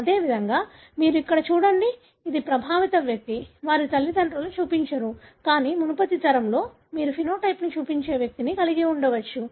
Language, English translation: Telugu, Likewise you see here, this is the affected individual; their parents don’t show, but in the previous generation you may have an individual who is showing the phenotype